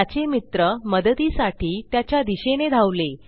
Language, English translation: Marathi, His friends runs to his side to help